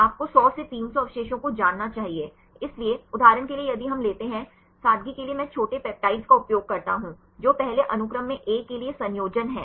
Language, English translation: Hindi, You must you know 100 to 300 residues; so, for example if we take; for simplicity I use small peptides what is the composition for A in the first sequence